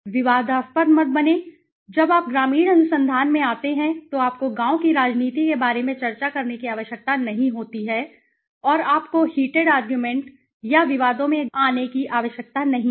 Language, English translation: Hindi, Do not get controversial, when you get into rural research, you need not discuss about the village politics, and you need not get into the heated argument or disputes right